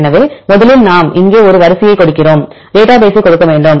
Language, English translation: Tamil, So, first we give a sequence here and we need to give the database